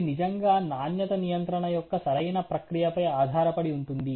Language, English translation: Telugu, It is really dependent on the correct process quality control